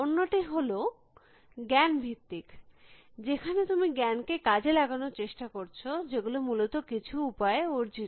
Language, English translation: Bengali, The other is knowledge based, in which you are trying to exploit knowledge, which has been accrued by some means essentially